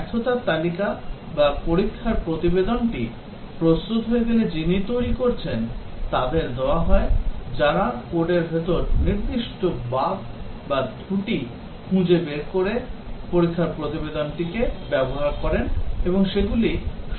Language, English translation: Bengali, Once the failure read list or the test report is prepared it is given to the developers who use the test report to first debug to find out what where the specific bugs in the code or the faults and then the correct those